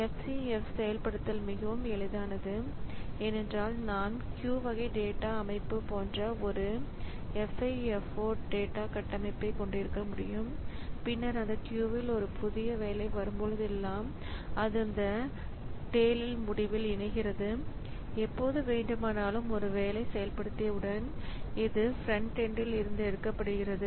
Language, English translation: Tamil, So, this out of the algorithms that we have seen so far FCFS implementation is very easy because I can have a FIFO data structure like Q type of data structure and then in that Q whenever a new job comes it joins at the end that tail end and whenever a job has to be taken for execution so it is taken from the front end